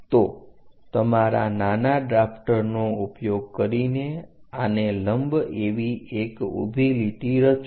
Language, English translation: Gujarati, So, there using your mini drafter draw a perpendicular line this is the one